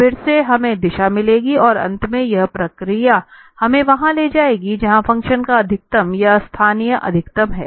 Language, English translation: Hindi, Then again we will find the direction then again we will find the direction and finally, we will… this process will take us where the function has its maximum or the local maximum